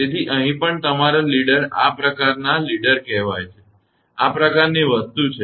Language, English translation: Gujarati, So, here also this kind of your leader; this is called leader this kind of thing will happen